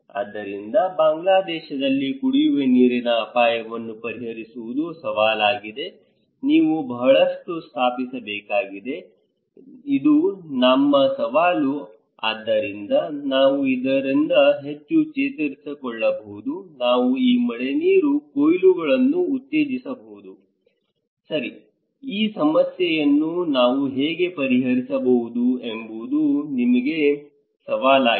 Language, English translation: Kannada, So, the challenge is therefore to solve the drinking water risk in Bangladesh, you need to install many, many, many, many so, this is our challenge so, how we can recover from this how, we can promote these rainwater harvesting, right so, this is our challenge given that how we can solve this problem